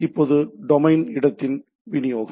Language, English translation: Tamil, Now, this distribution of domain space right